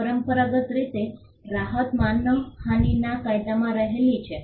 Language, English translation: Gujarati, Traditionally, the relief would lie in the law of defamation